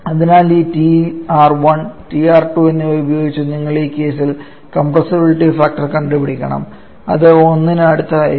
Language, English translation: Malayalam, So using this Tr1 and Tr you have to calculate the compressibility factor which will is coming in this case to be quite close to 1